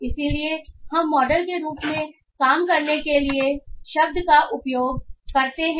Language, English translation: Hindi, So we use the word to work model